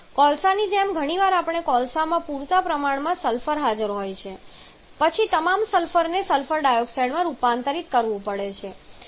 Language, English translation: Gujarati, Like in coal quite often we a coal we quite have enough sulphur present then all the sulphur has to be converted to sulphur dioxide as well